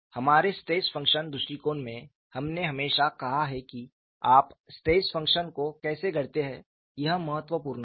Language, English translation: Hindi, The idea is this, in our stress function approach, we have always said how do you coin the stress function is important